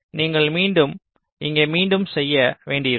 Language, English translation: Tamil, so you may have to do an iteration here again